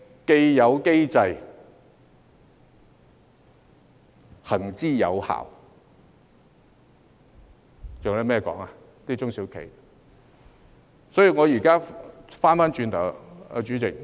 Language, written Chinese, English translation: Cantonese, "既有機制，行之有效"，中小企還有甚麼好說呢？, The established mechanism has all along been effective . What else can SMEs say?